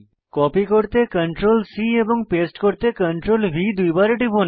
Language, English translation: Bengali, Press CTRL + C to copy and CTRL+V twice to paste the structures